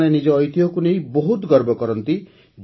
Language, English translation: Odia, All of them are very proud of their heritage